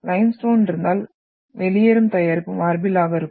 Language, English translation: Tamil, And if you are having limestone then you are having the out product is marble here